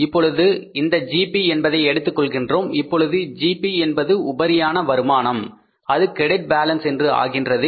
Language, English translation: Tamil, Now this GP is the income with the surplus and this surplus will become the credit balance